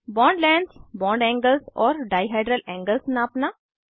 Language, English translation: Hindi, * Measure bond lengths, bond angles and dihedral angles